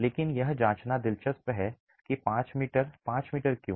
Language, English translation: Hindi, But it is interesting to examine why 5 meters